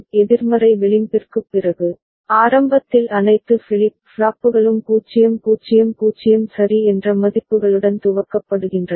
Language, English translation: Tamil, After the negative edge, so initially all the flip flops are initialized with the values at 000 ok